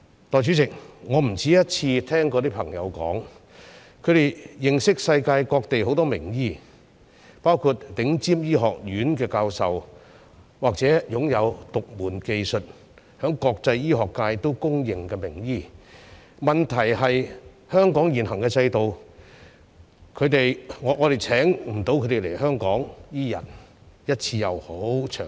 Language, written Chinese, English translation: Cantonese, 代理主席，我不止一次聽到朋友說，他們認識世界各地很多名醫，包括頂尖醫學院的教授，或是擁有獨門技術、受到國際醫學界認可的名醫，問題在於香港現行的制度，令我們無法邀請他們來香港，不管是一次性或長期。, Deputy President I have heard from my friends more than once that they know many renowned doctors around the world including professors from top medical schools and internationally recognized doctors with unique skills . The problem is that the existing system of Hong Kong prevents it from inviting them to Hong Kong either on a one - off or long - term basis . Even if they come to Hong Kong to provide medical consultation they cannot do anything themselves